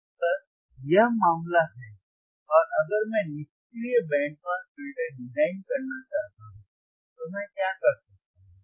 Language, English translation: Hindi, So, if this is the case and if I want to design passive band pass filter, then what can I do